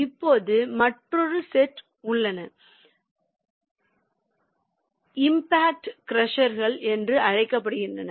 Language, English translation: Tamil, now there are also another set of crushers which are called impact crushers